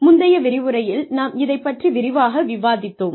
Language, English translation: Tamil, We have already discussed this, in a previous lecture